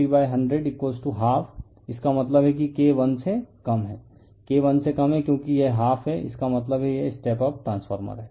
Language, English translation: Hindi, Then K = N1 / N2 = 50 / 100 = half; that means, K less than that is your K less than because it is half; that means, it is step up transformer